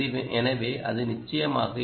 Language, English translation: Tamil, so that will be